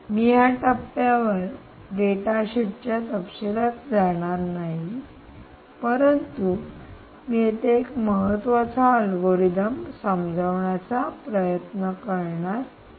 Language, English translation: Marathi, i will not get into the detail of the data sheet at this stage, but i am trying to drive home a very important algorithm that is out here: ah um